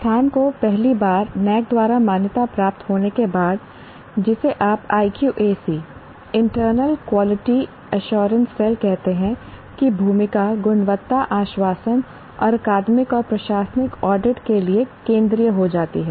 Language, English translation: Hindi, After an institution is accredited for the first time by NAC, the role of what you call IQAC internal quality assurance cell becomes central to quality assurance and academic and administrative audit